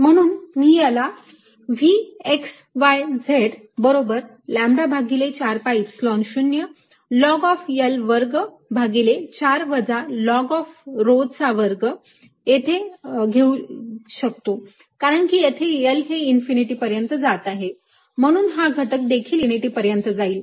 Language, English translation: Marathi, so i can write all that as v, x, y, z equals lambda over four, pi, epsilon zero log, l square by four minus log rho square, as i will tells, to infinity